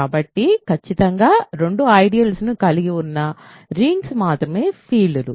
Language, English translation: Telugu, So, the only rings which have exactly two ideals are fields